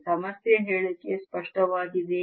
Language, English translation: Kannada, is the problem statement clear